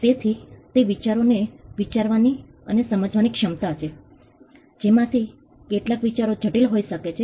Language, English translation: Gujarati, So, it is the ability to think and understand ideas sometimes which some of those ideas could be complicated